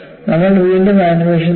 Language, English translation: Malayalam, We will again look at the animation